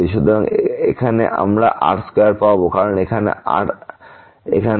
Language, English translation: Bengali, So, here we will get because one r square from here from here